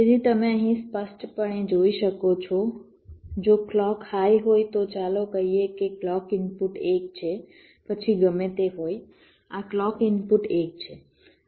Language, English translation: Gujarati, so you can see here clearly: if clock is high, lets say clock input is one, then whatever this clock input is one